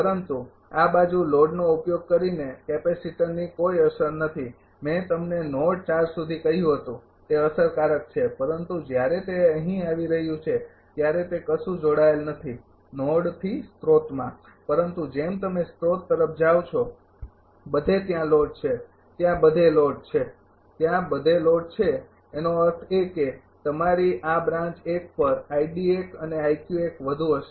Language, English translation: Gujarati, But this side there is no effect of capacitor using the load I told you up to node 4 it will be it has affected, but when it is coming here this side actually nothing it is from the connecting node to the source, but as you are moving to the source everywhere load is there, everywhere load is there, everywhere load is there; that means, your this at the branch 1 i d 1 and i q 1 will be higher